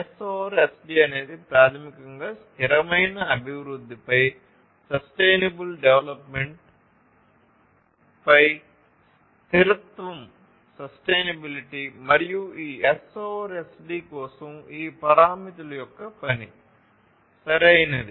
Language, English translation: Telugu, So, S over SD is basically sustainability over sustainable development and for this S over SD has all of it is a function of all these parameters, right